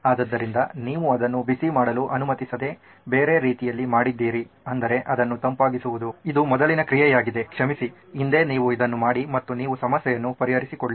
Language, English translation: Kannada, So, you have done the other way round not allowing it to heat up but to cool it so this is a prior action sorry previously you do this and so you solve the problem